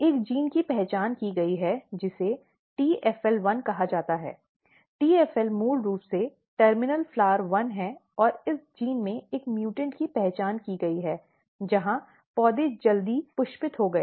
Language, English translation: Hindi, There was a gene identified which is called TFL1, TFL is basically TERMINAL FLOWER ONE and when a mutation or when a mutant was identified in this gene there was few phenotypes one phenotype is that the plant flowered early